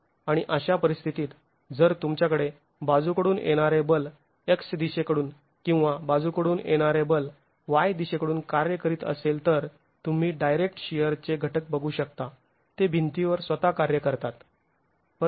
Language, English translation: Marathi, And in such a situation, if you have lateral force acting along the X direction or lateral force acting along the Y direction, you are going to be looking at direct shear components acting on the walls themselves